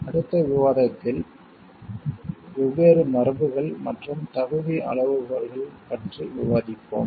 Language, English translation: Tamil, In the subsequent discussion, we will discuss about the different conventions and eligibility criteria